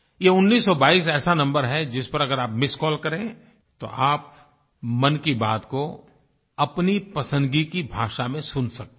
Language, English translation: Hindi, This 1922 is one such number that if you give a missed call to it, you can listen to Mann Ki Baat in the language of your choice